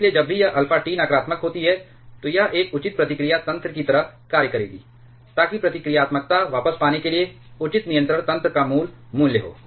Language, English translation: Hindi, So, whenever this alpha T is negative, it will act like a proper feedback mechanism proper controlling mechanism to get the reactivity back to it is original value